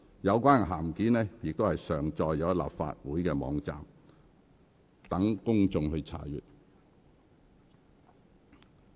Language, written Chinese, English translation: Cantonese, 有關的函件已上載立法會網站，供公眾查閱。, The letter has been uploaded onto the Legislative Council website for public inspection